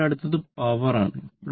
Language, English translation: Malayalam, So, next is power